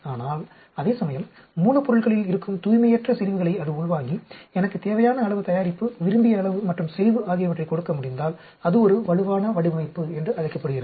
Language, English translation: Tamil, But whereas, if it can absorb the concentrations of the impurity present in the raw materials and still give me the desired amount of product, desired quantity and concentration, then that is called a robust design